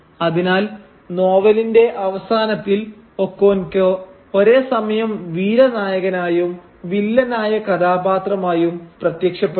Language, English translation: Malayalam, So Okonkwo simultaneously emerges near the end of the novel as a heroic figure and as a villainous character